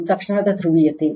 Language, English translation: Kannada, It is instantaneous polarity